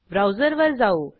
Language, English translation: Marathi, Now, come to the browser